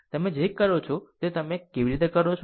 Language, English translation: Gujarati, How you do what you will do it